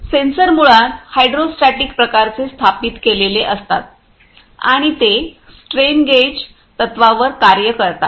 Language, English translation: Marathi, Sensors are installs a basically hydro hydrostatic types and working on this strain gauge principles